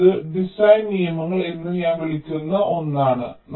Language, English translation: Malayalam, so it is something which i have called design rules